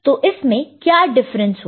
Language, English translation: Hindi, So, what difference does it make